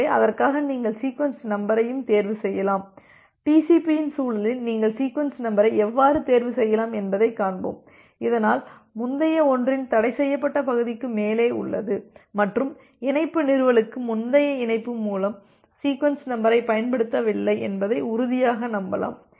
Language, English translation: Tamil, So, for that you can also choose the sequence number in such a way we will see that in the context of the TCP that you can choose the sequence number in such a way, so that you are significantly high above the forbidden region of the previous one and you can be sure that the sequence number has not been utilized by the previous connection, for connection establishment